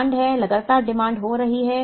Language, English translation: Hindi, There is a demand; there is a continuous demand